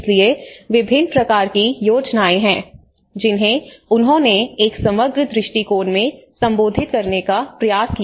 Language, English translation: Hindi, So there is a variety of schemes which he tried to address in 1 holistic approach